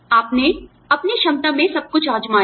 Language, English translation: Hindi, You tried everything in your capacity